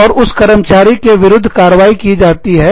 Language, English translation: Hindi, And, an action has been taken, against this employee